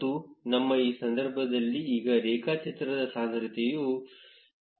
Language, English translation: Kannada, And the graph density in our case is 0